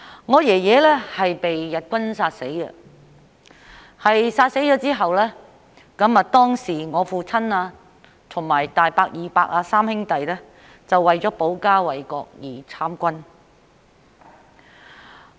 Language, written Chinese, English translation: Cantonese, 我祖父是被日軍殺死的，在他被殺後，我父親、大伯和二伯三兄弟，當時為了保家衞國而參軍。, My grandfather was killed by the Japanese army . After he was killed my father my eldest uncle and my second uncle―the three brothers―joined the army to protect our family and defend our country